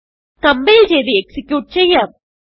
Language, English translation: Malayalam, Let us compile and execute